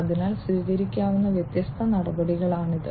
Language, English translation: Malayalam, So, these are the different measures that could be taken